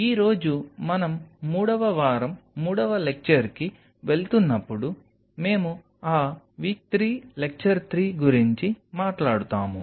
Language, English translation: Telugu, So, today while we are moving on to our week 3 lecture 3; we will talk about those w 3 L3